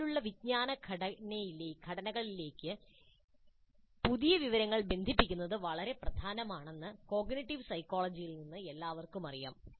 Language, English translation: Malayalam, From the cognitive psychology, it is well known that it is very important to link new information to the existing cognitive structures